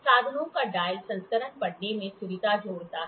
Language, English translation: Hindi, Dial version of the instruments add convenience to reading